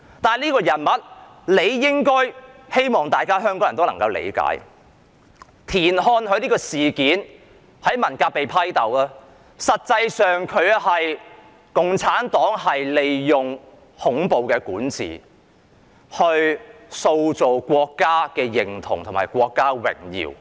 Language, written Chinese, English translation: Cantonese, 但是，我希望香港人理解到，田漢在文革被批鬥，實際上是出於共產黨利用恐怖管治，塑造國家認同及國家榮耀。, Nevertheless I hope people of Hong Kong will understand that the denouncement of TIAN Han during the Cultural Revolution was actually a tactic of CPC to manipulate the reign of terror to build national identification and national honour